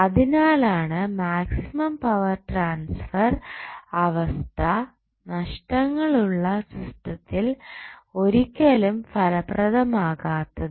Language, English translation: Malayalam, So, that is why the maximum power transfer condition will not be useful when the losses are present in the system